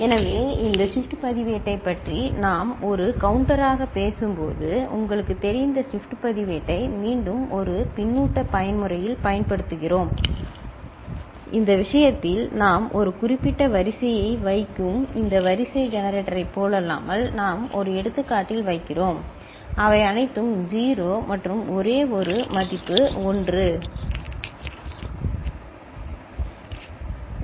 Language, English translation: Tamil, So, when we talk about this shift register as a counter, so we are using the shift register again you know, in a feedback mode and in this case unlike this sequence generator where we are putting a specific sequence, we are putting in one example all of them are 0s and only one value is 1, ok